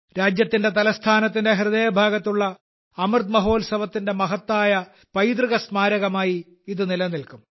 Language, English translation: Malayalam, It will remain as a grand legacy of the Amrit Mahotsav in the heart of the country's capital